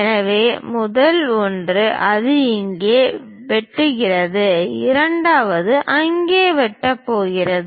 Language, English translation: Tamil, So, the first one; it is intersecting there, the second one is going to intersect there